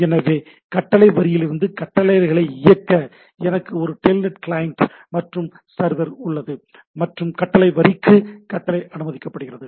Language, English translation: Tamil, So, and then to execute commands from the command line so, I have a Telnet client and server and a allowed to the command to the command line